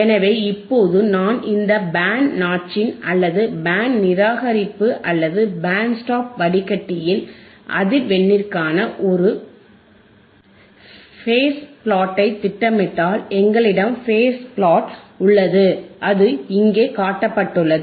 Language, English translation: Tamil, Then I will see here if you if you want to have a phase plot for frequency forof this band notch filter or band reject filter or band stop filter, then we have phase plot which is shown here in here right